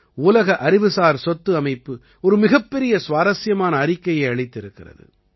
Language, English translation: Tamil, The World Intellectual Property Organization has released a very interesting report